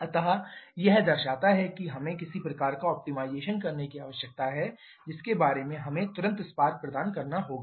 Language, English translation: Hindi, So, that shows that we need to do some kind of optimization regarding at which instant we have to provide the spark